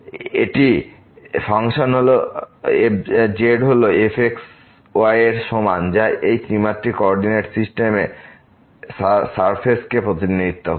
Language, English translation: Bengali, So, this is the function is equal to which represents the surface in this 3 dimensional coordinate system